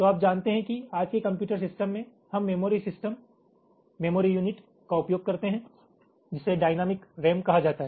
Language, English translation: Hindi, so you know that when todays computer system we use the memory systems, memory units, using something called dynamic ram, dynamic memory